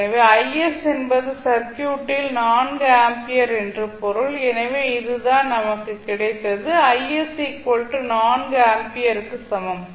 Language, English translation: Tamil, So it means that the I s value is nothing but 4 ampere in the circuit, so this is what we got that I s is equal to 4 ampere